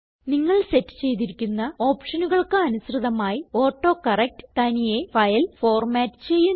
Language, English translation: Malayalam, AutoCorrect automatically formats the file according to the options that you set